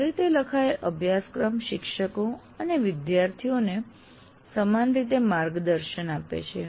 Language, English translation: Gujarati, A well written syllabus guides faculty and students alike